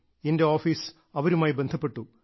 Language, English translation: Malayalam, So my office contacted the person